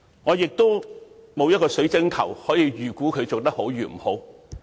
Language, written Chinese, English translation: Cantonese, 我沒有水晶球可以預估她做得好不好。, I do not have a crystal ball to predict whether she will do her job well